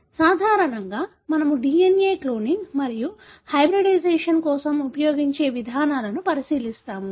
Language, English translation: Telugu, Basically, we will be looking into the approaches we use for DNA cloning and hybridization